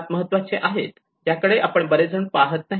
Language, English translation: Marathi, This is the most important which many of them does not look into it